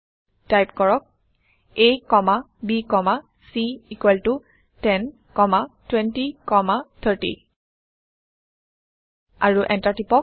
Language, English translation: Assamese, Type a comma b comma c equal to 10 comma 20 comma 30 and press Enter